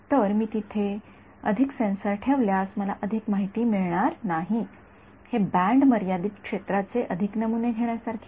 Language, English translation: Marathi, So, it is if I put more sensors over there, I am not going to get more information; it is like over sampling a band limited field